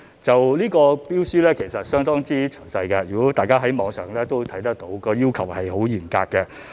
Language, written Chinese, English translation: Cantonese, 有關標書其實相當詳細，大家可從網上看到有關要求十分嚴格。, The invitation to tender was actually very detailed and as seen from the Internet the requirements were very stringent